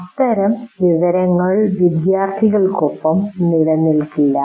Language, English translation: Malayalam, Obviously that kind of thing will not stay with the students